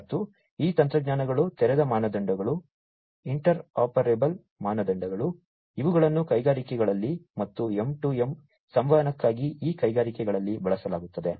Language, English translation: Kannada, And these technologies open standards, interoperable standards, etcetera these are used in industries and for M2M communication in these industries